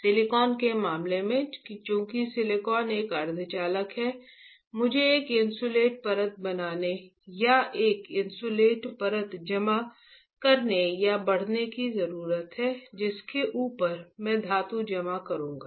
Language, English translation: Hindi, In case of silicon, since silicon is a semiconductor I need to a make an insulating layer or deposit or grow an insulating layer, over which I will deposit metal, right